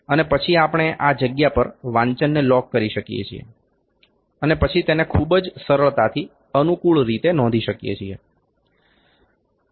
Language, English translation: Gujarati, And then we can lock the reading at this point and then note down it very easily conveniently